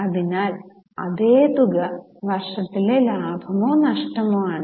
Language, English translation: Malayalam, So same amount is a profit or loss for the year